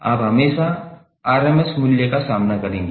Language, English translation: Hindi, You will always encounter the RMS value